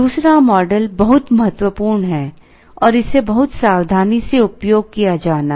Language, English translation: Hindi, The second model is very important and has to be used very carefully